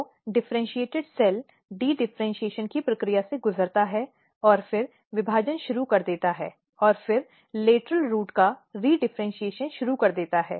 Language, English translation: Hindi, So, there is; so, differentiated cell undergo the process of dedifferentiation then start dividing and then start redifferentiation of the lateral root